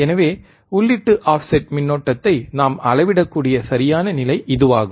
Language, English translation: Tamil, So, this is the perfect condition where we can measure what is the input offset current right